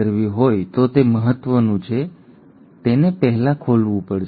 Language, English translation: Gujarati, Now it is important if the DNA has to replicate, it has to first unwind